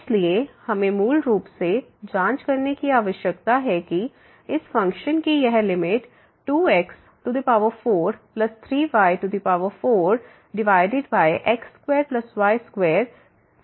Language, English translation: Hindi, So, we need to check basically that this limit here of this function 2 4 plus 3 4 divided by square plus square is equal to 0